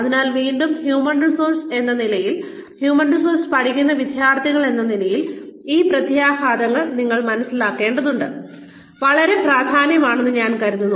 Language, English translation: Malayalam, So again, as human resources, as students studying human resources, I think it is very important for you to understand these implications